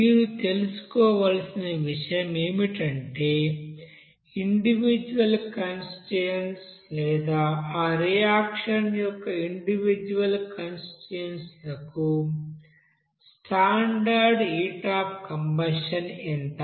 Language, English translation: Telugu, Only thing is that you have to know what should be the standard heat of combustion for individual components or individual constituents of that reaction there